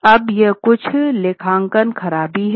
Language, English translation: Hindi, Now these are some of the accounting malpractices